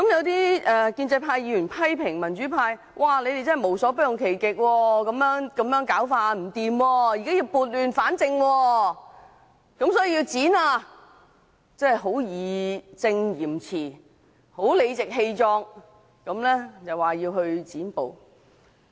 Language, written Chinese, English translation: Cantonese, 有建制派議員批評民主派無所不用其極，說我們這樣做十分不妥，所以要撥亂反正，要"剪布"，義正詞嚴、理直氣壯地要"剪布"。, Some pro - establishment Members have criticized the pro - democracy camp for resorting to all possible means saying that it is very inappropriate for us to filibuster; hence they have to right the wrong and boldly cut the filibuster off